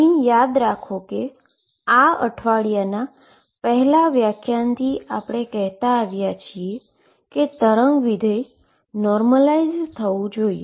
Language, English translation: Gujarati, So, remember from the first lecture this week there are saying that we are going to demand that the wave function being normalize